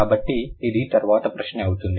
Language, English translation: Telugu, Okay, so this going to be a question later